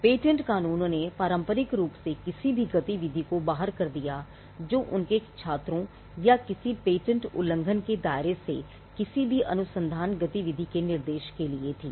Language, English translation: Hindi, Patent laws traditionally excluded any activity which was for instruction of their students or any research activity from the ambit of a patent infringement